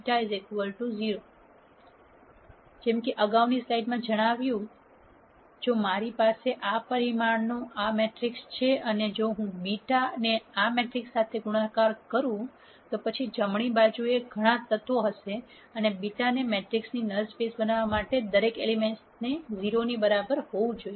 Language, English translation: Gujarati, As I mentioned in the previous slide, if I have this matrix of this dimension and if I multiply beta with this matrix,then on the right hand side there are going to be several elements and for beta to be the null space of this matrix every one of the elements has to be equal to 0